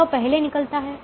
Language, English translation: Hindi, this goes out first